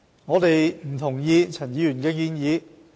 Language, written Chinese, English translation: Cantonese, 我們不同意陳議員的建議。, We do not agree with Mr CHANs proposal